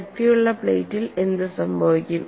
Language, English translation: Malayalam, And what happens in a thick plate